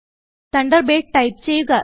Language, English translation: Malayalam, Now type Thunderbird